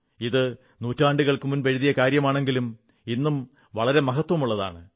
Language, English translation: Malayalam, These lines were written centuries ago, but even today, carry great relevance